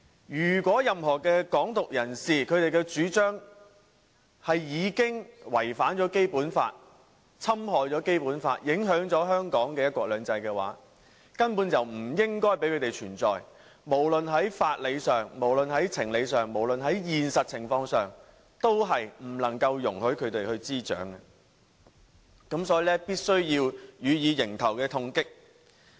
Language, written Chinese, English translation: Cantonese, "任何"港獨"人士的主張已違反或侵害了《基本法》，影響香港的"一國兩制"，根本就不應容許他們存在，無論在法理、情理或現實情況上，也不能容許"港獨"滋長，所以必須要予以迎頭痛擊。, Any advocacy of Hong Kong independence is a violation and an infringement of the Basic Law that affects Hong Kongs one country two systems and should not be allowed to exist . The growth of Hong Kong independence should not be tolerated and must be hit hard on legal conscionable and realistic grounds